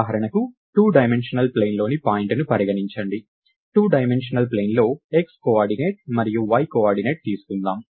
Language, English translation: Telugu, lets take for example, a point in a two dimensional plane, a two dimensional plane will have an x coordinate and a y coordinate